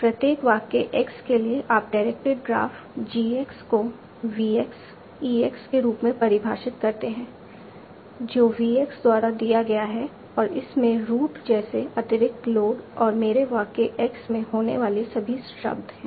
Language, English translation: Hindi, For each sentence x, you define the directed graph GX as VX X X, that is given why VX contains an additional node like root and all the words that occur in my sentence X